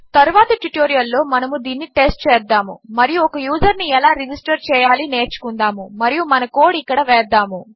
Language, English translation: Telugu, In the next tutorial well test this out and will learn how to register the user and we will put our code here in that tutorial